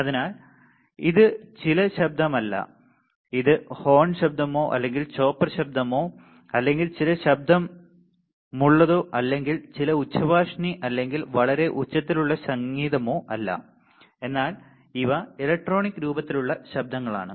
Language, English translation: Malayalam, So, this is not some noise which is horn noise or which is a chopper noise or which is some honking right or which is some loudspeaker or very loud music, but these are the noises which are present in the electronic form